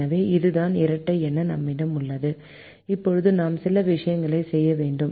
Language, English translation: Tamil, so this is what we have as the dual now we need to do a few things now